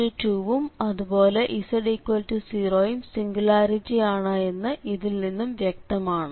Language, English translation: Malayalam, So, z is equals to 2 is a singularity and z is equal to 0 is also a singularity